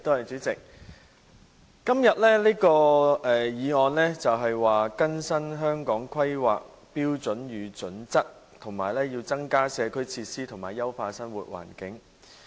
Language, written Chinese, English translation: Cantonese, 主席，今天這項議案是"更新《香港規劃標準與準則》及增加社區設施以優化生活環境"。, President this motion today is on Updating the Hong Kong Planning Standards and Guidelines HKPSG and increasing community facilities to enhance living environment